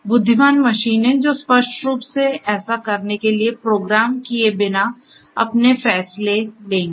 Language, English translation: Hindi, Intelligent machines, which will make take their own decisions without being explicitly programmed to do so